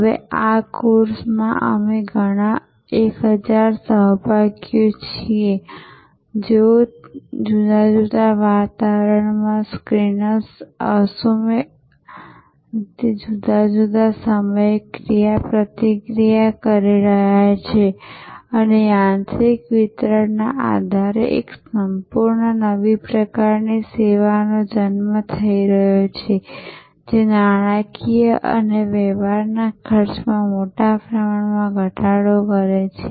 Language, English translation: Gujarati, Now, in this course we are several 1000 participants, they are interacting synchronously, asynchronously different times in different environment and a complete new type of service is being born based on the delivery mechanism which vastly slashes out the transaction cost monetarily as well as many non monetary costs, like time, effort and so on